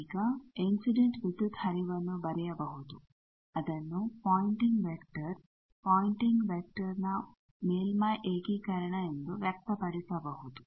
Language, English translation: Kannada, Now, the incident power flow can be written like we know, it can be expressed as the pointing vector, surface integration of pointing vector